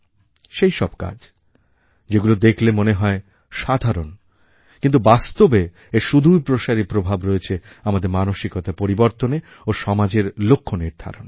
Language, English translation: Bengali, These works may seem small but have a very deep impact in changing our thinking and in giving a new direction to the society